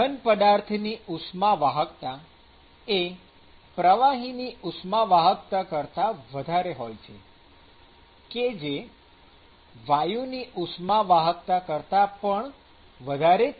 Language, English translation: Gujarati, So, the thermal conductivity of solids is typically greater than the thermal conductivity of liquids, which is typically greater than the thermal conductivity of gases